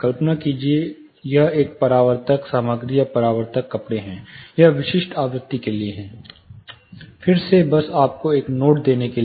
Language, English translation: Hindi, Imagine it is a reflective material or a reflective fabric; more or less it is specific frequency, again just to give you a very quick note